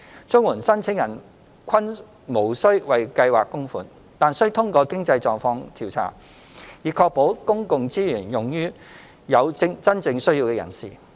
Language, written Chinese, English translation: Cantonese, 綜援申請人均無須為計劃供款，但須通過經濟狀況調查，以確保公共資源用於有真正需要的人士。, The Scheme is non - contributory but applicants have to pass a means test to ensure public resources are used on those who are genuinely in need